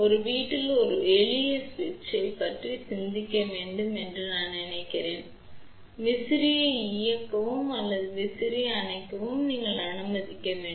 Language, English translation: Tamil, I mean you would just think about a simple switch at your home you want to let us say turn on fan or turn off the fan